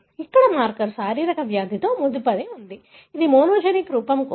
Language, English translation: Telugu, Here, the marker is physically linked with the disease; that is for the monogenic form